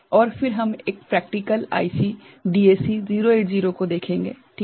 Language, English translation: Hindi, And, then we shall look at one practical IC ok, that is DAC 0808